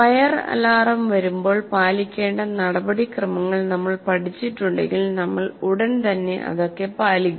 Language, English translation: Malayalam, And then if you have learned what is the procedure you need to follow when the fire alarm comes, you will immediately follow those steps